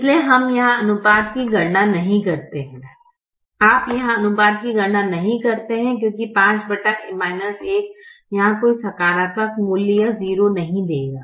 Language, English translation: Hindi, you don't compute the ratio here because five divided by minus one will not give a positive value or a zero here